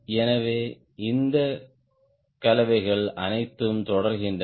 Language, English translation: Tamil, so all this combination goes on